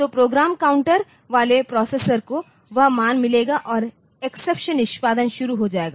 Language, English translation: Hindi, So, the processor with the program counter will get that value and the exception execution will start